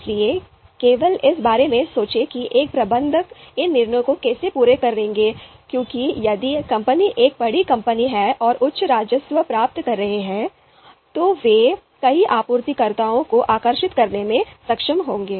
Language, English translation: Hindi, So just think about how a manager will go about making these decisions because if the company is a large company and is having you know higher revenues, then they would be able to attract a number of suppliers